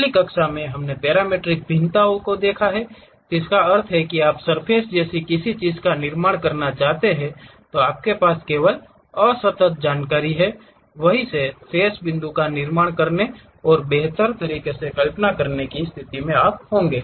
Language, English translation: Hindi, In the last classes, we have seen parametric variations means you want to construct something like surfaces, you have only discrete information, from there one will be in aposition to really construct remaining points and visualize in a better way